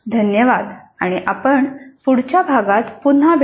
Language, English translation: Marathi, Thank you and we'll meet again in the next unit